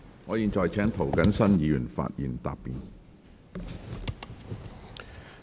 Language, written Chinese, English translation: Cantonese, 我現在請涂謹申議員發言答辯。, I now call upon Mr James TO to reply